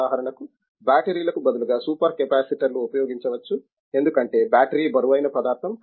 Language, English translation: Telugu, For example, super capacitors instead of batteries because battery is weighty substance